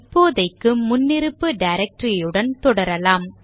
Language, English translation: Tamil, For now let us proceed with the default directory